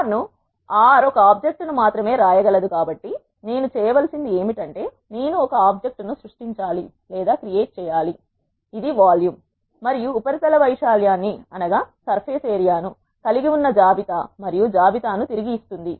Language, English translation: Telugu, Since R can written only one object what I have to do is I have to create one object which is a list that contains volume and surface area and return the list